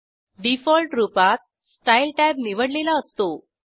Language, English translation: Marathi, By default, Style tab is selected